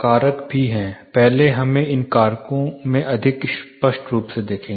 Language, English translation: Hindi, There are factors; first let us look at more clearly into these factors first